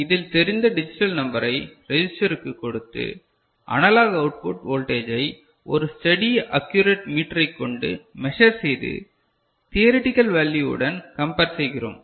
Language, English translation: Tamil, It is known digital number to the register, that is given and you measure the analog output voltage with a steady accurate metre and compare with the theoretical value ok